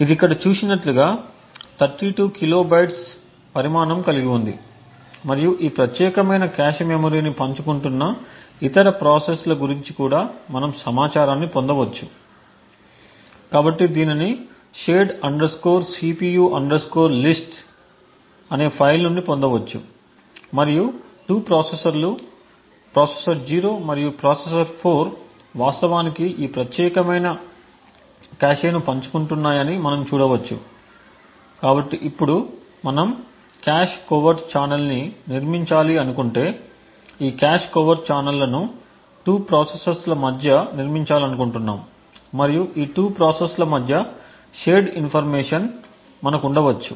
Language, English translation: Telugu, It has a size of 32 kilobytes as seen over here and we can also get the information about the other processes which are sharing this particular cache memory, so this can be obtained from the file shared cpu list and we see that there are 2 processors, processor 0 and processor 4 which are actually sharing this particular cache, so now if we want to build a cache covert channel, we could have and we want to build this cache covert channels between 2 processes and shared information between these 2 processes